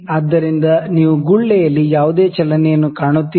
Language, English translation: Kannada, So, do you find any movement in the bubble